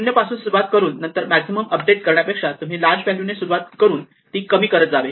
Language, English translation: Marathi, Instead of starting with 0, and updating it when you do maximum; you start with the large value and keep shrinking it